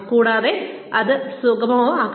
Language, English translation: Malayalam, And, that should be facilitated